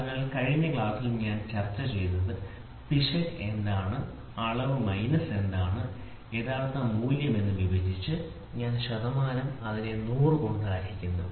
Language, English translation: Malayalam, So, I discussed in the last class also error is what is measure minus what is the true value divided by suppose if I say percentage then it is divided by 100